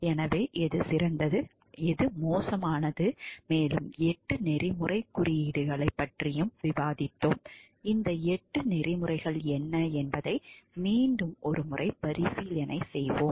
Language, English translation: Tamil, So, which is better and which is worse and we have also discussed about the eight codes of ethics let us again recapitulate what these eight codes of ethics are